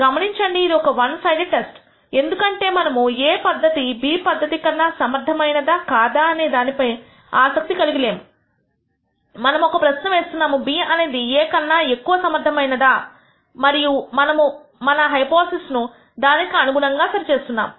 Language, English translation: Telugu, Notice that it is a one sided test because we are not interested in looking at whether method A is more e ective than method B, we are only asking the question is method B more e ective than method A and we are setting up our hypotheses accordingly